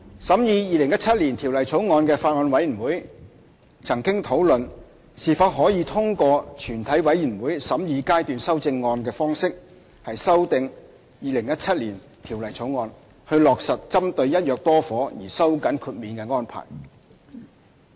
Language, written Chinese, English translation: Cantonese, 審議《2017年條例草案》的法案委員會曾討論是否可以通過全體委員會審議階段修正案的方式修訂《2017年條例草案》，以落實針對"一約多伙"而收緊豁免的安排。, The Bills Committee scrutinizing the 2017 Bill has discussed whether it is possible to amend the 2017 Bill by way of Committee stage amendment in order to give effect to the tightening of the exemption arrangement targeting the purchase of multiple flats under one agreement